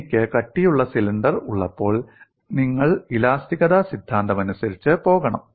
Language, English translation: Malayalam, But when I have a thick cylinder, you have to go by theory of elasticity